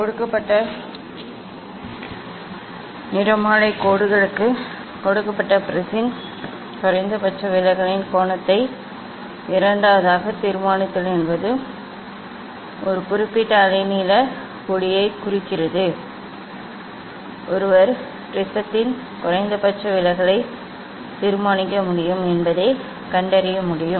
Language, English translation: Tamil, Then second determine the angle of minimum deviation of the given prism for a given spectral lines means for a particular wavelength of light one can find out one can determine the minimum deviation of the prism